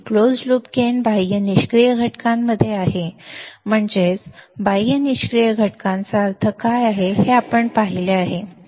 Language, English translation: Marathi, Closed loop gain is in the external passive components, that is, we have seen what do we mean by external passive components